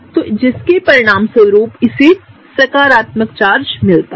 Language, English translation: Hindi, So, as a result of which it gets the positive charge right